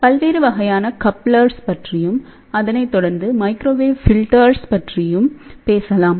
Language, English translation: Tamil, Then we will talk about different types of couplers which will be followed by microwave filters